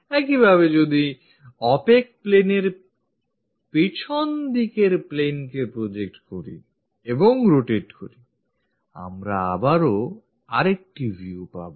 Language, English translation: Bengali, Similarly, if we are projecting on to that plane back side opaque plane and rotate that we will get again another view